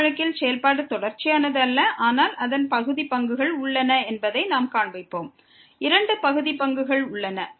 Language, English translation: Tamil, In this case, we will show that the function is not continuous, but its partial derivatives exist; both the partial derivatives exist